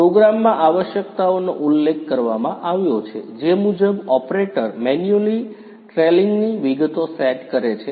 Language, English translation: Gujarati, The requirements are mentioned in the program; according to which the operator manually sets the tooling details